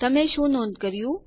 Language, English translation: Gujarati, What do you notice#160